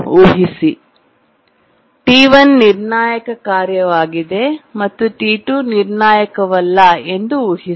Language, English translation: Kannada, Now assume that T2 is a critical task and T1 is not so critical